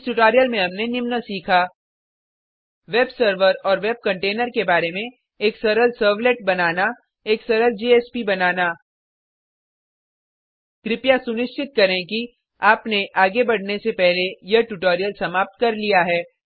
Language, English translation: Hindi, Let us summarize In this tutorial we have learnt About web server and web container To create a simple servlet To create a simple JSP Please make sure that you have completed this tutorial before proceeding further